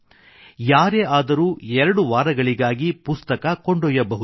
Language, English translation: Kannada, Anyone can borrow books for two weeks